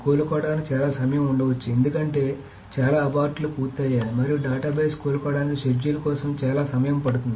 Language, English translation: Telugu, So there may be a lot of time to recover because lots of aborts are done and lots of time it takes for the schedule for the database to recover